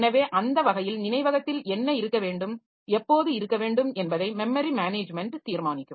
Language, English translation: Tamil, So, that way the memory management will decide what is what should be there in the memory and when should it be in the memory